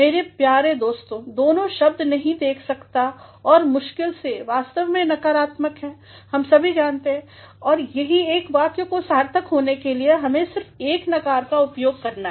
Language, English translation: Hindi, My dear friends both the words could not and hardly they are actually negative and we all know that in a sentence in order to be meaningful we have to use only one negative